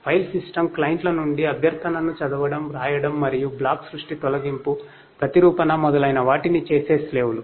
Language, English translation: Telugu, Slaves are the once which read write request from the file systems clients and perform block creation, deletion, replication and so on